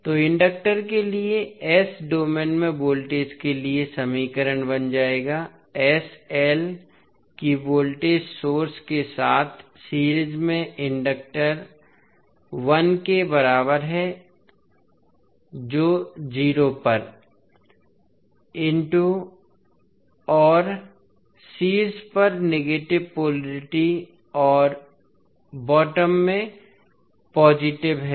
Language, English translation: Hindi, So, the equation for voltage in s domain for the inductor will become sl that is the inductor in series with voltage source equal to l at l into I at 0 and with negative polarity on top and positive in the bottom